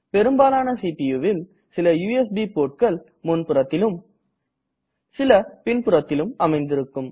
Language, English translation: Tamil, In most of the CPUs, there are some USB ports in the front and some at the back